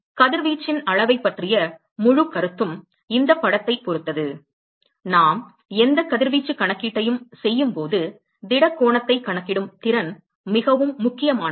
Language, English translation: Tamil, So, the whole concept of quantification of radiation which hinges upon this picture, the ability to calculate the solid angle is very very important when we are doing any radiation calculation